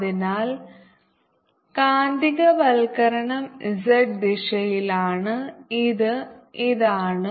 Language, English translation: Malayalam, so magnetization is along the z axis, which is this